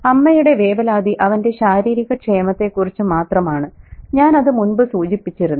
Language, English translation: Malayalam, And her worry is only towards his physical well being, something that I made a mention of earlier